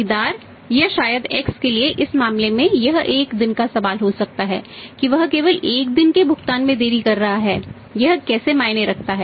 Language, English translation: Hindi, For the buyer or maybe for X In this case it may be a question of one day that he is only delaying the payment by one day how does it matter